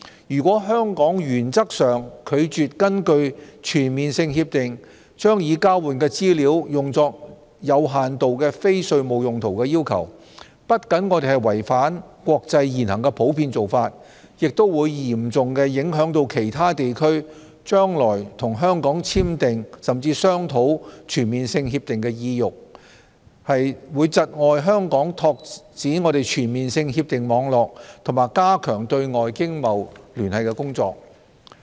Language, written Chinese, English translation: Cantonese, 如果香港原則上拒絕根據全面性協定將已交換的資料用作有限度非稅務用途的要求，我們不僅違反國際現行普遍做法，也會嚴重影響其他地區將來與香港簽訂、甚至商討全面性協定的意欲，窒礙香港拓展全面性協定網絡和加強對外經貿聯繫的工作。, If Hong Kong turns down in principle any request for using the information exchanged under Comprehensive Agreements for limited non - tax related purposes this is not only contrary to the prevailing international practices but will also seriously undermine the incentives for other regions to sign and even negotiate Comprehensive Agreements with Hong Kong in the future thereby hindering the work of Hong Kong to expand its network of Comprehensive Agreements and strengthen its external economic and trade ties